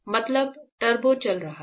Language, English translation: Hindi, Means turbo is running